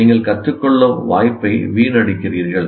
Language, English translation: Tamil, You are wasting an opportunity to learn because that experience is wasted